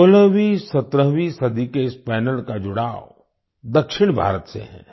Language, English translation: Hindi, This panel of 16th17th century is associated with South India